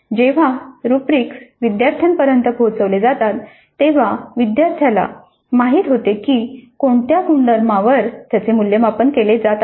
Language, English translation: Marathi, When the rubrics are communicated to the student, student knows what are the attributes on which he or she is being assessed